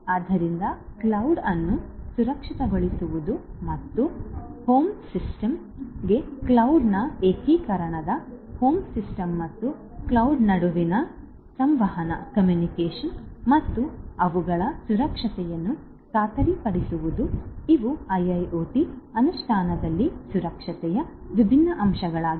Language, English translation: Kannada, So, securing the cloud and ensuring the integration of the cloud to the home system and the communication between the home system and the cloud and their security these are also different different other components of security in IIoT implementation